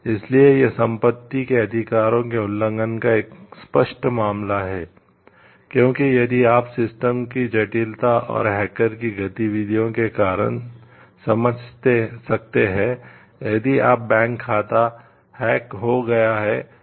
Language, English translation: Hindi, So, this is a like a clear case of violation of property rights so because, if you can understand because of the complexity of the system and the due to the hackers activity you may have like if your bank account is hacked